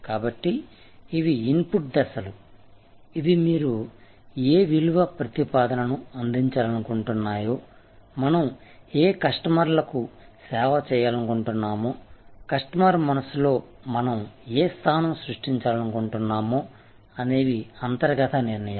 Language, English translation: Telugu, So, these are input steps, these are internal decisions that what value proposition you want to offer, what customers we want to serve, what position in the customer's mind we want to create